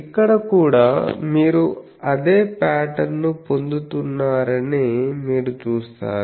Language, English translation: Telugu, You will see that here also you are getting the same pattern